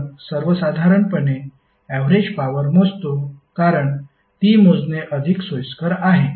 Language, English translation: Marathi, We measure in general the average power, because it is more convenient to measure